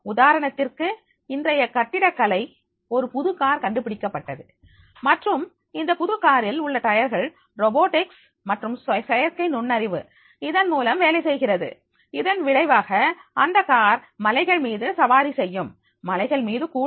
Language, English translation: Tamil, There can there for example in the architecture today there is a new car has been invented and this new car in the which will be having the tires working on their robotics and through artificial intelligence and as a result of which that car will be able to ride on the hills also, even hills also